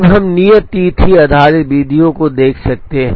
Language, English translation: Hindi, Then we can look at due date based methods